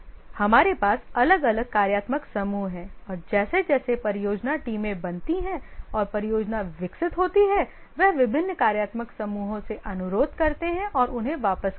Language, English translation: Hindi, We have different functional groups and as the project teams are formed and the project develops, they request from different functional groups and return them